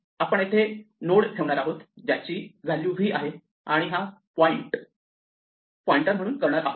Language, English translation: Marathi, We want to put a node here which has v and make this pointer